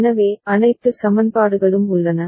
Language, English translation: Tamil, So, all the equations are there